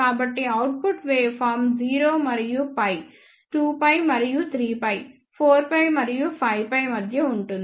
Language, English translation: Telugu, So, the output waveform will be between 0 and pi, 2 pi and 3 pi, 4 pi and 5 pi